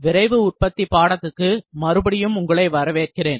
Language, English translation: Tamil, Welcome back to the course, Rapid Manufacturing